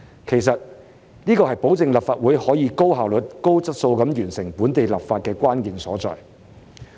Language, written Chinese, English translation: Cantonese, 其實，這是保證立法會可以高效率、高質素地完成本地立法的關鍵所在。, In fact this is the key to ensure that the Legislative Council can efficiently complete the local legislative exercise in an efficient and high quality manner